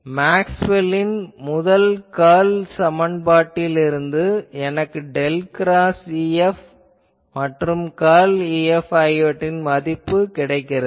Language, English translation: Tamil, Also from Maxwell’s first curl equation; I have the value for this del cross E F, curl of E F